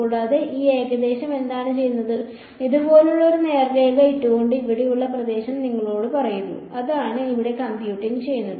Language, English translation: Malayalam, And, what this approximation is doing, it is putting a straight line like this and telling you the area over here right that is what is computing over here